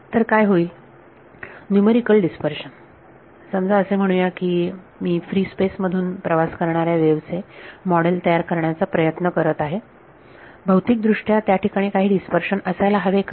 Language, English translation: Marathi, So, what would; so, numerical dispersion supposing I am trying to model wave propagation through uh lets say free space, physically should there be any dispersion